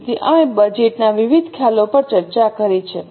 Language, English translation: Gujarati, So, we have discussed various concepts of budgets